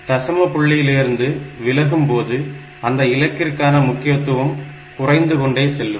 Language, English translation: Tamil, So, as you are going away from this decimal point the significance of that digit decreases